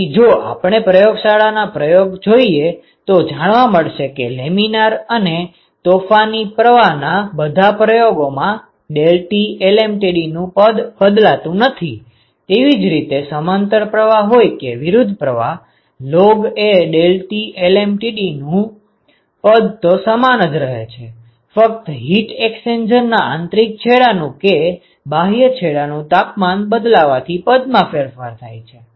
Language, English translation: Gujarati, So, that is why in fact in all your lab experiments the laminar and turbulent flow experiments the deltaT lmtd the expression does not change, whether you had a parallel flow or a counter flow the expression for the log a delta T lmtd is the same except that you have to replace your temperatures based on, what you define as inlet to the heat exchanger and what you define as outlet of the heat exchanger